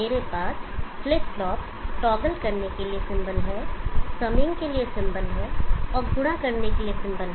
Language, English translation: Hindi, I have the symbol for toggle flip flop, the symbol for summing, and symbol for multiplying